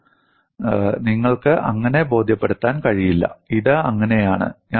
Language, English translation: Malayalam, See, you will not be able to convincingly say, this is so